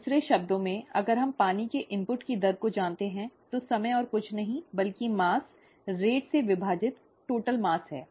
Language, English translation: Hindi, The, in other words, if we know the rate of water input, okay, then the time is nothing but the mass, total mass divided by the rate